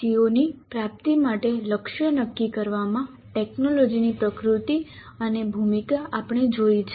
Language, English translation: Gujarati, We have seen the nature and role of technology in setting targets for attainment of COs that we completed